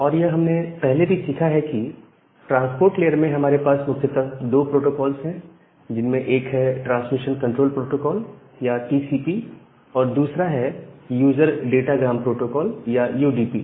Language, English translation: Hindi, And as we have learned already that in the transport layer, we have two different protocols, the transmission control protocol or the TCP and the user datagram protocol or UDP